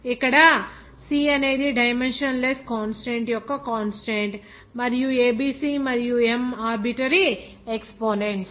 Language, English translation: Telugu, Here C is the constant of dimensionless constant and a b c and m is arbitrary exponents